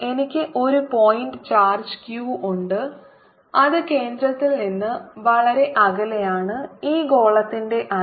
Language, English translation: Malayalam, and i have a charge point, charge q, which is located at a distance from the centre which is larger than the centre, ah, the radius of the, this sphere